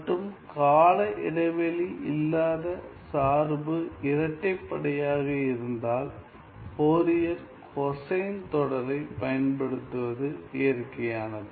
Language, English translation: Tamil, And whenever the function is non periodic and also the function is even, it is natural to use the Fourier cosine series